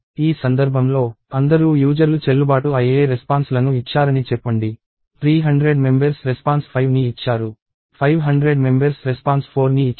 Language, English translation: Telugu, So in this case, all the user let us say gave valid responses; 5 people gave 3 hundred, 4 people gave 5 hundred and so on